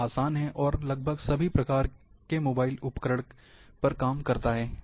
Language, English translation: Hindi, It is easier, and it works on almost all types of mobile devices